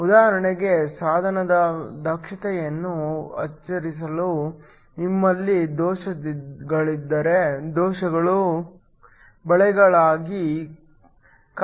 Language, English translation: Kannada, In order to increase the efficiency of the device for example, if you have defects then defects could act as traps